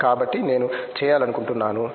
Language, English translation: Telugu, So, that is what I would like to do